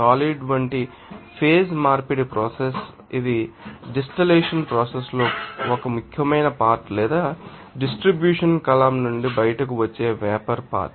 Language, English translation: Telugu, Condensation is the process of such phase conversion it is an important component of you know that the distillation process or you know that sometimes vapor component that is coming out from the distribution column